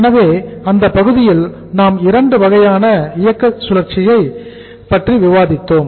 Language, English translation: Tamil, So in that part we discussed that we have 2 types of the operating cycle